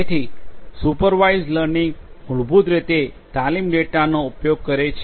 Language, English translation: Gujarati, So, supervised learning basically uses training data